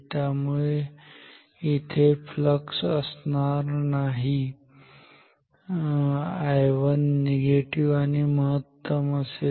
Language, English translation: Marathi, So, no flux here I 1 is negative and maximum